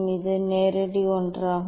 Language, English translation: Tamil, this is the direct one